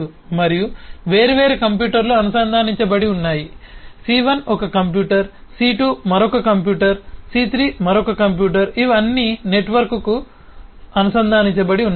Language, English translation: Telugu, c1 is one computer, c2 is another computer, c3 is another computer which are all connected to the network